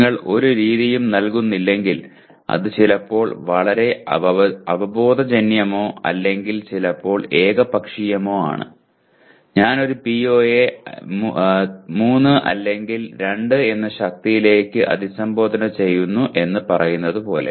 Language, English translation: Malayalam, If you do not provide any method it is very very sometimes either intuitive or sometimes even arbitrary saying that I just merely say I address a PO to the strength of 3 or 2 like that